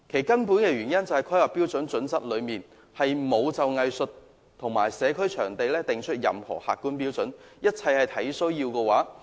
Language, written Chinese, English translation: Cantonese, 根本的原因是《規劃標準》並沒有就藝術場地及社區會堂訂定任何客觀標準，一切都是"按需要"提供。, The fundamental reason is that HKPSG has not drawn up any objective criteria for the provision of performing arts venues and community halls and they are all provided on a need basis